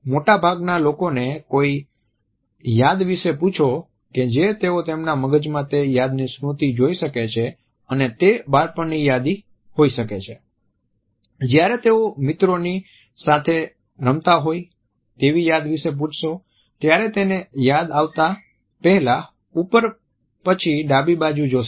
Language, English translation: Gujarati, Ask most people about a memory that they can visually recall in their brain and it may be a childhood memory, when they were playing in the part of friends they will look up and to the left as they recall that memory